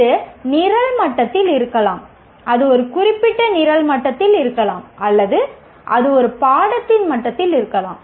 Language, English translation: Tamil, It can be at the program level, it can be at the program, a specific program level, or at the level of a course